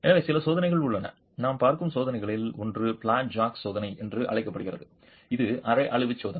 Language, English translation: Tamil, So there are some tests, one of the tests that we will be looking at is called the flat jack testing, which is a semi destructive test